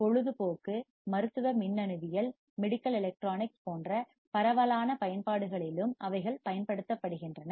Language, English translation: Tamil, They are also employed in wide range of application such as entertainment, medical electronics etc